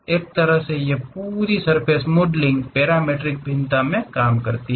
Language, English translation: Hindi, There is a way this entire surface modelling works in the parametric variation